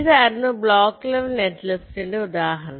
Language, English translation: Malayalam, so this was the example block level netlist